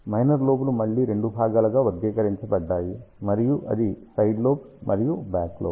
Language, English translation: Telugu, Minor lobes are classified again in two parts; and that is side lobes and then back lobe